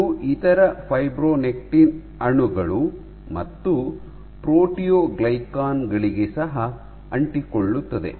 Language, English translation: Kannada, It also binds to other fibronectin molecules and proteoglycans ok